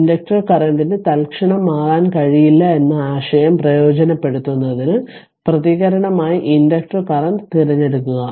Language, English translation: Malayalam, Select the inductor current as the response in order to take advantage of the idea that the inductor current cannot change instantaneously right